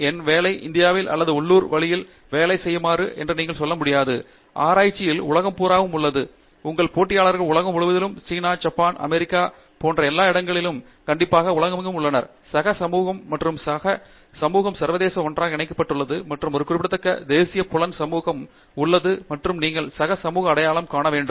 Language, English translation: Tamil, I mean you cannot say my work applies only for India or some in a local way it does not work, research is global today, your competitors are all over the globe definitely in China, Japan, USA, Europe, everywhere and all of those places are connected together by the peer community and peer community is international and there is also a significant national peer community and you have to identify the peer community